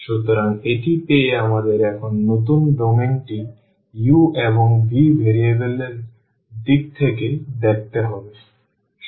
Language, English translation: Bengali, So, having this we have to see the new domain now in terms of variables u and v